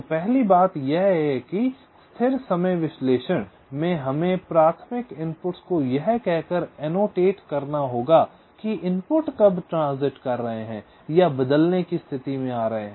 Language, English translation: Hindi, ok, so the first thing is that in static timing analysis we have to annotate the primary inputs by saying that when the inputs are transiting or changing state